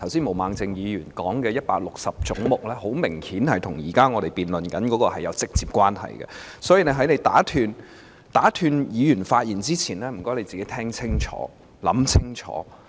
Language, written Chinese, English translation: Cantonese, 毛孟靜議員剛才談論的總目 160， 明顯與我們目前的辯論議題有直接關係，所以在你打斷議員發言前，麻煩你聽清楚、想清楚。, Obviously head 160 which Ms Claudia MO talked about just now is directly related to the question under our present debate . Therefore before you interrupt a Members speech would you please listen carefully and think carefully